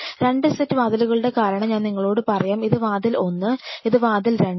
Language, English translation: Malayalam, The reason for 2 sets of doors why I am telling you is, this is door one this is the door two